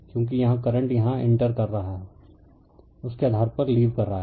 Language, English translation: Hindi, Because current here is entering here it is leaving so, based on that